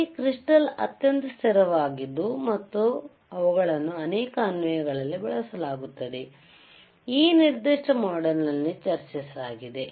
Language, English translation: Kannada, We also saw that these crystals wereare extremely stable and hence they are used in many applications, which were discussed in this particular module